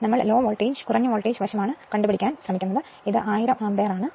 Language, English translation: Malayalam, But , we are trying to find out at the low voltage side so, it is 1000 ampere right